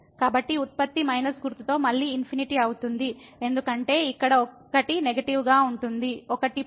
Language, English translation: Telugu, So, the product will be infinity again with minus sign because one is negative here, one is plus